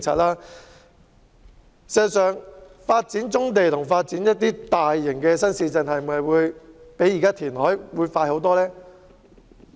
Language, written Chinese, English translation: Cantonese, 然而，發展棕地和發展大型新市鎮是否真的會較填海快很多？, However is the development of brownfield sites and large new towns really much faster than reclamation?